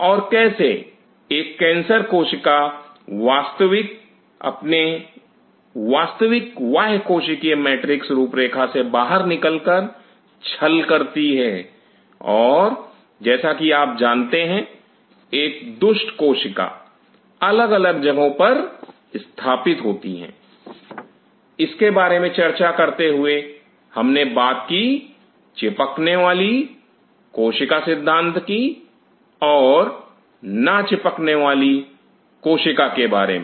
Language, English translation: Hindi, And how a cancer cell cheats by moving out from its actual extracellular matrix profile and kind of you know like a rogue cell colonizes at different places, while talking about this we also talked about the concept of adhering cell or non adhering cell